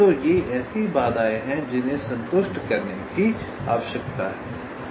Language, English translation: Hindi, so these are the constraints that need to be satisfied